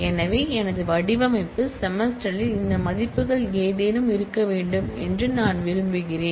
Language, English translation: Tamil, So, I want that in my design semester must have any of these values only